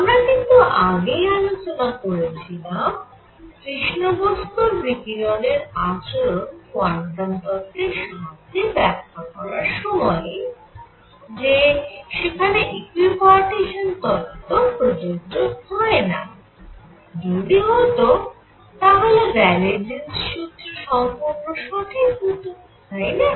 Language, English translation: Bengali, Now, we have already seen earlier while discussing the development of quantum theory that equipartition was theorem did not hold in case of black body radiation, if it did Rayleigh Jean’s formula would have been, alright